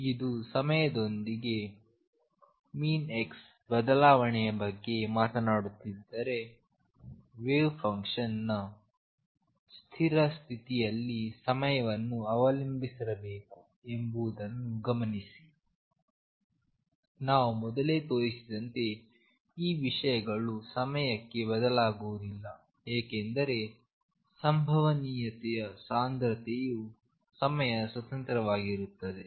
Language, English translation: Kannada, Notice that if you talking about the change of expectation value of x and p in time, the wave function necessarily has to be time dependent in a stationary state these things do not change in time as we showed earlier because the probability density is independent of time